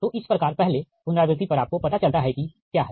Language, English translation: Hindi, so at first iteration you find out what is the